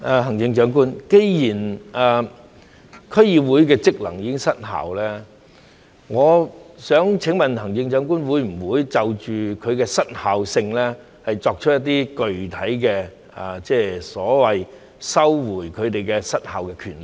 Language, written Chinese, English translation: Cantonese, 行政長官，既然區議會的職能已失效，我想請問行政長官會否就其失效性，作出一些具體的所謂收回他們失效的權力呢？, Chief Executive as DCs have already ceased to function may I ask in respect of their dysfunctioning whether the Chief Executive will take any specific actions so to speak to take back their dysfunctional power?